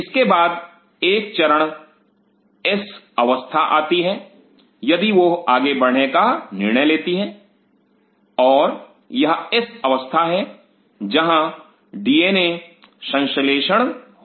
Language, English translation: Hindi, Then comes a phase called S phase if they decide to you know go further and this is the S phase where DNA synthesis happens